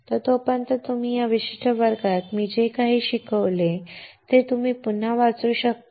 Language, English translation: Marathi, So, till then you guys can again read whatever I have taught in this particular class